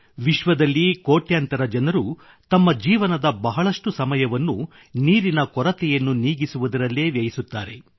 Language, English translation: Kannada, has written to me that millions of people in the world spend a major part of their lives in overcoming water shortage